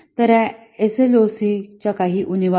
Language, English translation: Marathi, So, these are some of the shortcomings of SLOC